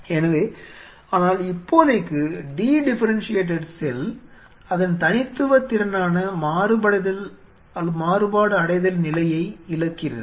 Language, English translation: Tamil, So, but for the time being a de differentiated cell loses it is that unique capability of is differentiated state